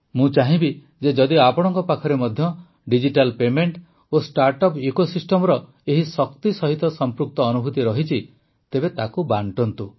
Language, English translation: Odia, I would like you to share any experiences related to this power of digital payment and startup ecosystem